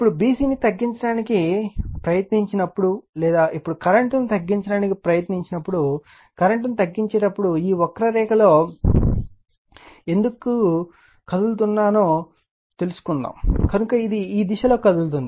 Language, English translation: Telugu, Now, when you try to when you try to reduce b c or what you call try to reduce the current now, suppose why I am moving in this the curve reducing the current, so it is moving in this direction